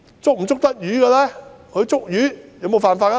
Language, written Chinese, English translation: Cantonese, 使用這些漁船捕魚有否違法呢？, Is it against the law to use these fishing vessels for fishing?